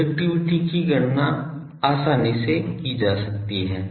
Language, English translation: Hindi, Directivity can be easily calculated